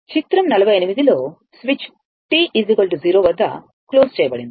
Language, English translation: Telugu, In figure 48, the switch is closed at t is equal to 0